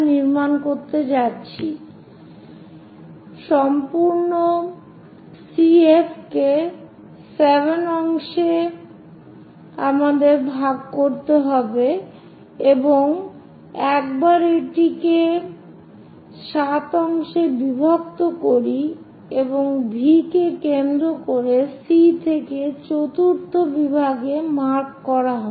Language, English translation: Bengali, So, divide the complete CF into 7 equal parts 7 parts we have to divide and once we divide that into 7 parts mark V at the fourth division from centre C